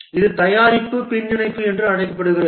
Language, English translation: Tamil, This is called as a product backlog